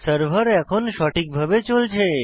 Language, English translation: Bengali, So, the server is up and running